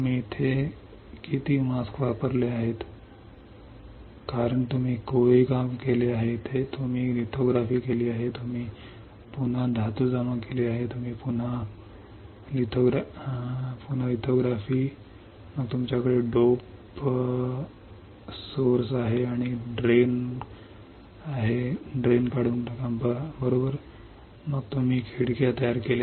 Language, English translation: Marathi, , On how many masks you have used here because you have etching, you have done lithography, you have again deposit metal, you have again did lithography, then you have the dope the source and drain right then you have created windows